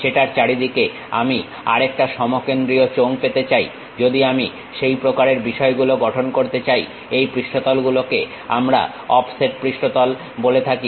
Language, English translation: Bengali, I would like to have one more concentric cylinder around that, if I am going to construct such kind of thing that is what we call this offset surfaces